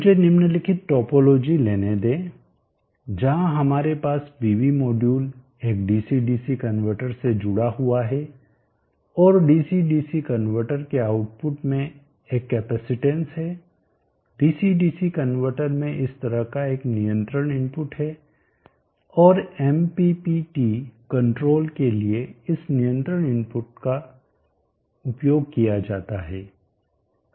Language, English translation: Hindi, Let me take up the following topology where we have the pv module connected to a dc dc converter and the dc dc converter output as a capacitance dc dc converter has a control input like this and this control input is used for mppt control